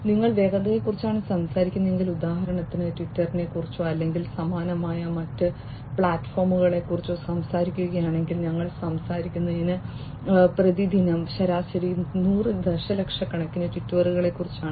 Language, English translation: Malayalam, Then if you are talking about velocity, if you talk about twitter for example, or similar kind of other platforms we are talking about some 100s of millions of tweets, on average per day